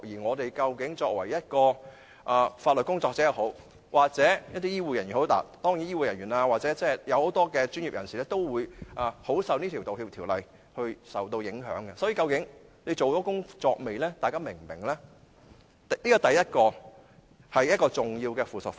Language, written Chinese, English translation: Cantonese, 無論是作為法律工作者、醫護人員，還是其他專業人士，都會受這項《道歉條例》影響，究竟律政司等是否做了這些宣傳和教育工作，大家又是否明白呢？, Legal workers medical staff and other professionals will all be subject to the impact of this Apology Ordinance . Thus have the Department of Justice and others conducted any proper promotional and educational work and do the people understand?